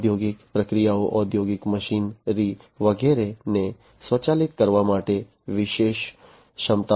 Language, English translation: Gujarati, Special capabilities for automating the industrial processes, industrial machinery, and so on